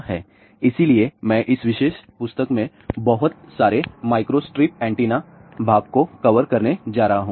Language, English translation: Hindi, So, I am going to cover lot of microstrip antenna portion from this particular book